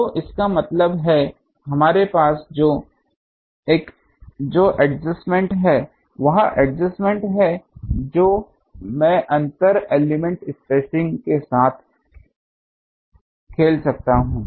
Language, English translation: Hindi, So, that means, what is the adjust what is the adjustment we have the adjustment we have is that I can play with the inter element spacing